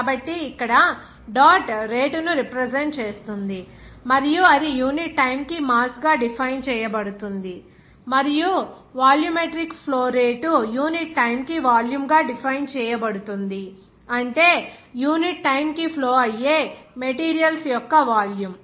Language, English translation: Telugu, So here dot represents the rate and then it will be defined as mass per unit time and also volumetric flow rate will be defined as volume per unit time, that is volume of materials flowing per unit time